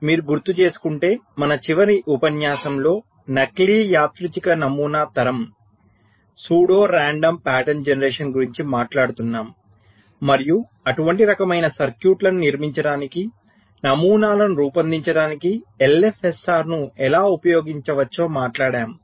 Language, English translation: Telugu, so in our last lecture, if you recall, we were talking about pseudo random pattern generation and how we can use l f s r to generate the patterns for building such type of a circuits